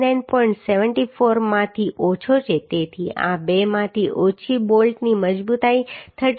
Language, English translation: Gujarati, 74 so lesser of these two the strength of bolt will become 37